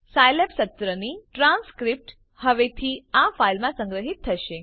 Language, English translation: Gujarati, A transcript of the Scilab session from now onwards will be saved in this file